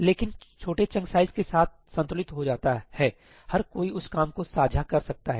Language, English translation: Hindi, But with smaller chunk sizes that gets load balanced, everybody can share that work